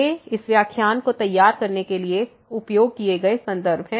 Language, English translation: Hindi, These are the references used for preparing these this lecture and